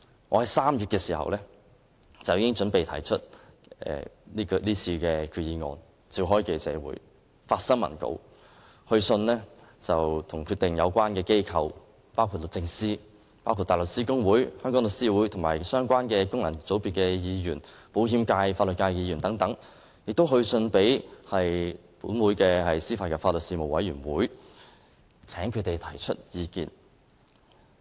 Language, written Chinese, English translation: Cantonese, 我在3月已經準備為提出今次的決議案召開記者會，發新聞稿，並致函相關機構，包括律政司、香港大律師公會、香港律師會、相關的功能界別議員，包括保險界和法律界的議員，以及本會的司法及法律事務委員會，請他們提出意見。, In as early as March I planned to hold a press conference and issue press releases in preparation for the moving of this resolution . To seek the views of relevant organizations I wrote to the Department of Justice DoJ the Hong Kong Bar Association The Law Society of Hong Kong Members from the insurance and legal functional constituencies as well as the Panel on Administration of Justice and Legal Services AJLS of this Council